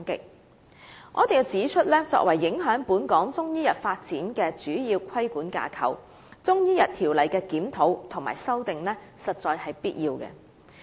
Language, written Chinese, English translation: Cantonese, 我必須指出，作為影響本港中醫藥發展的主要規管架構，《條例》的檢討和修訂實在是必要的。, I must point out that it is essential to review and amend CMO which is the major regulatory framework affecting the development of Chinese medicine in Hong Kong